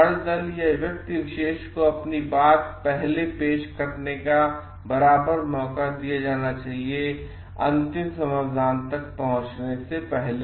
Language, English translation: Hindi, Every party should be given an equal chance to present their point of view before the final solution is reached